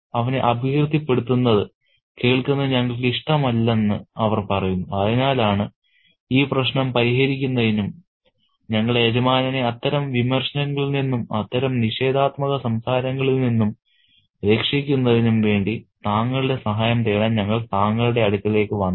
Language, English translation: Malayalam, They say they, we don't like to hear him malign, which is why we have come to you to get your help in sorting out this problem in saving our master from such a, you know, criticism, such negative talk